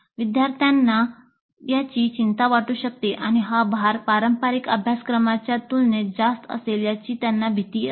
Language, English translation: Marathi, Students may be concerned about it and fear that the load would be overwhelming compared to traditional courses